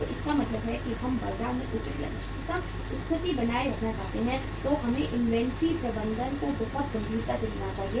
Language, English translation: Hindi, So it means if we want to maintain a appropriate or the optimum position in the market we should take the inventory management very seriously